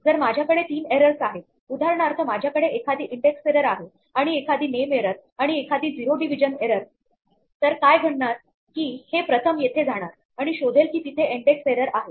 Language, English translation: Marathi, If I have three errors for example, if I have an index error and a name error and a zero division error then, what will happen is that, it will first go here and find that there is an index error